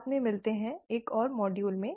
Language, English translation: Hindi, See you later in another module